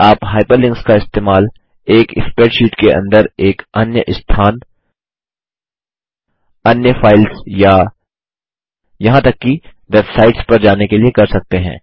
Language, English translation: Hindi, You can use Hyperlinks to jump To a different location within a spreadsheet To different files or Even to web sites